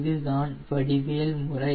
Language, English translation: Tamil, this is geometrical method